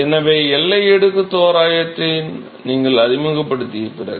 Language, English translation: Tamil, So, that is after you introduce the boundary layer approximation